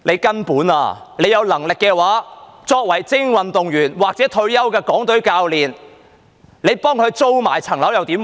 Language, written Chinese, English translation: Cantonese, 根本上，當局有能力的話，他們替精英運動員或退休的港隊教練租房屋又如何？, Basically if the authorities are competent what if they rent an abode for elite athletes or retired Hong Kong Team coaches?